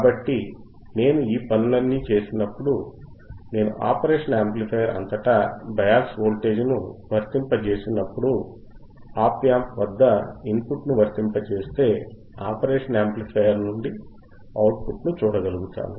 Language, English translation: Telugu, So, when I do all these things, when I apply bias voltage across operation amplifier, apply the input at the op amp, I will be able to see the output from the operation amplifier is what we will do today